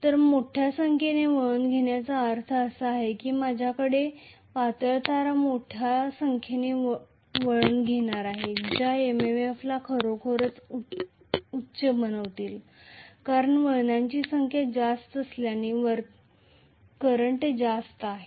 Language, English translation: Marathi, So, large number of turns means I am going to have thin wires made into huge number of turns which is going to make the MMF actually high because of the number of turns being high not because of the current being high